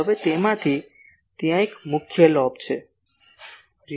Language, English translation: Gujarati, Now, out of that , there is a major lobe